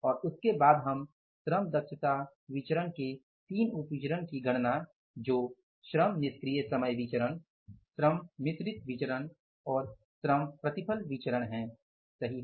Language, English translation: Hindi, So, and after that we will calculate three more variances as the sub variances of the labor efficiency variance which is labor ide time variance, labor mix variance and labor yield variance